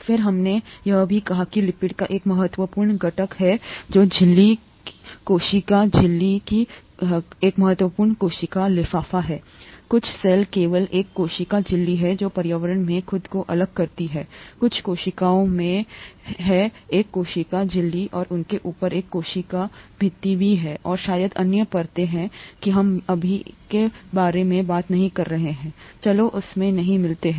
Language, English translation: Hindi, And then we also said that lipids form an important component of the membrane, of the cell membrane, cell membrane is an important cell envelope; some cells have only a cell membrane to distinguish themselves from the environment, some cells have a cell membrane and on top of that a cell wall too, and maybe there are other layers, that we’re not talking about now, (we’re) let’s not get into that